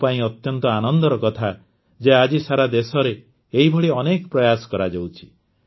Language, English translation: Odia, It gives me great pleasure to see that many such efforts are being made across the country today